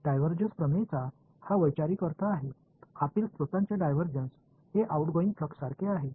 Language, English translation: Marathi, That is the conceptual meaning of divergence theorem, divergence of sources inside is equal to outgoing flux